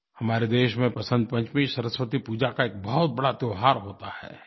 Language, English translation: Hindi, In our country, Saraswati Pooja is done on Vasant Panchami; Vasant Panchmi is a major festival